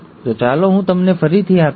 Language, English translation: Gujarati, So, let me again tell you this